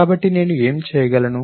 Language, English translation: Telugu, So, what could I do